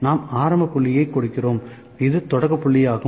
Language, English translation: Tamil, We just give the initial point of it this is the starting point